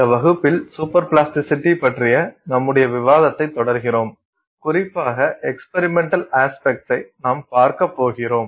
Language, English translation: Tamil, Hello, in this class we are continuing our discussion on super plasticity and particularly we are going to look at experimental aspects